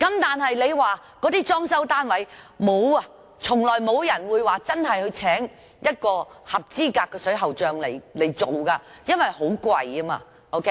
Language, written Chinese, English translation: Cantonese, 但是，為一些單位裝修，從來沒有人會聘請一名合資格的水喉匠進行工程，因為很昂貴。, However when refurbishing a housing unit hardly anyone will employ a qualified plumber to do the works concerned as exorbitant costs will be incurred